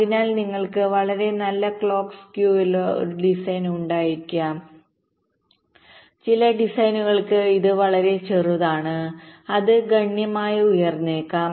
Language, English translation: Malayalam, so you can have a design with a very good clock skew, very small for some designs where it can be significantly higher